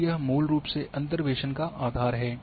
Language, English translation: Hindi, And this is basically the basis of interpolation